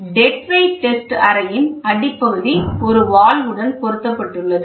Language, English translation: Tamil, The bottom of the dead weight tester chamber with a check valve is provided